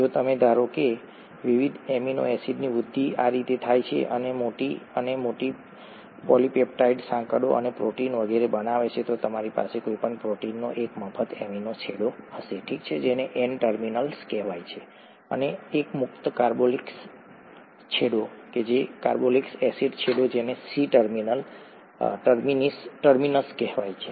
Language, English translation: Gujarati, If you assume that the growth happens this way of various amino acids attaching to form larger and larger polypeptide chains and the proteins and so on, so you have any protein will have one free amino end, okay, which is called the N terminus, and one free carboxyl end, carboxylic acid end which is called the C terminus